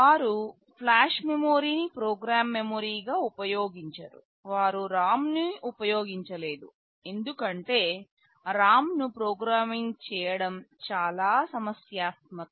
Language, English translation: Telugu, They have used flash memory as the program memory, they have not used a ROM because programming a ROM is quite troublesome